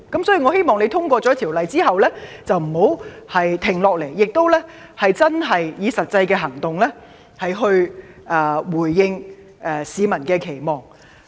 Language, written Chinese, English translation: Cantonese, 所以，我希望政府在《條例草案》通過後不要停下來，以實際行動回應市民的期望。, Hence I hope that the Government will not halt its work after the passage of the Bill and will meet the expectations of the public with pragmatic actions